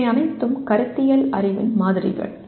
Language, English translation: Tamil, They are all samples of conceptual knowledge